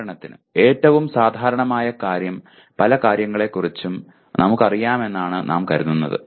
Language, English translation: Malayalam, For example most common thing is many times we think we know about something